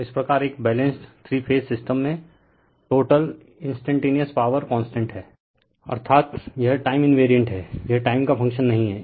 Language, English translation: Hindi, So, thus the total instantaneous power in a balanced three phase system is constant that means, it is time invariant, it is not a function of time right